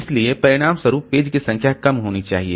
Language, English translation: Hindi, So, as a result, number of pages should be low